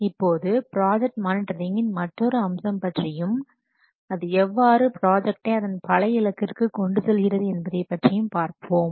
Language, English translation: Tamil, Now we will see the another aspect for this project monitoring that is getting the project back to the target